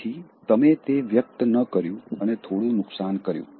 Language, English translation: Gujarati, So that you did not express that and caused some damage